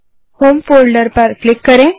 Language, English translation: Hindi, Lets open it.Click on home folder